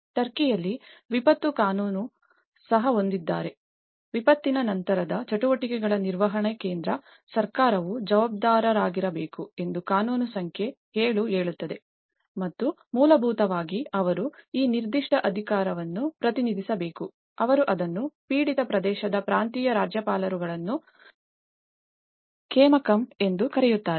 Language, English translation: Kannada, In Turkey, we have; they also have a disaster law; law number 7 states that the central government, it should be responsible for the management of post disaster activities and basically, they have to delegates this particular authority with, they call it as kaymakam in the provincial governors in the affected region